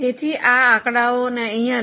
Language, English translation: Gujarati, So, take these figures here